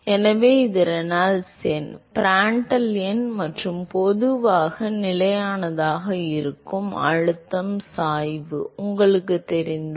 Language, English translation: Tamil, So, this is Reynolds number, Prandtl number and if you know the pressure gradient which is typically a constant